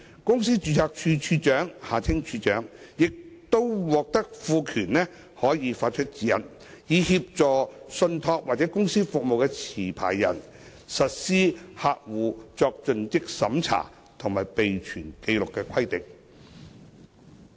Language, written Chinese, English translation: Cantonese, 公司註冊處處長亦將獲賦權可發出指引，以協助信託或公司服務持牌人實施客戶作盡職審查及備存紀錄的規定。, The Registrar of Companies will also be empowered to issue guidelines to facilitate TCSP licensees in implementing CDD and record - keeping requirements